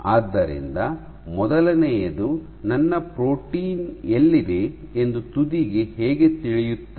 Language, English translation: Kannada, So, how will the tip know where my protein is situated number one